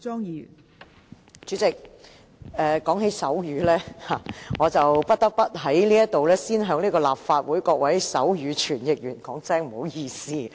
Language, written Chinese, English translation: Cantonese, 代理主席，說到手語，我不得不在這裏先向立法會各位手語傳譯員說一聲不好意思。, Deputy President talking about sign language I must first apologize to the sign language interpreters in the Legislative Council for my abnormal speed of speaking which is sometimes rather fast